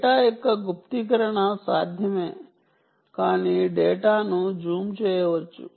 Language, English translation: Telugu, encryption of data is possible, but data can be jammed